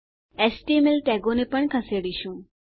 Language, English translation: Gujarati, We are also going to move html tags